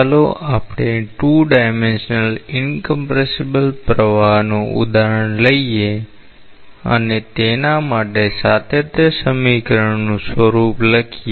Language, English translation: Gujarati, Let us take an example of 2 dimensional incompressible flow and write the form of the continuity equation for that